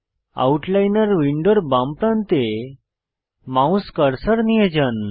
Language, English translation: Bengali, Move the mouse cursor to the left edge of the Outliner window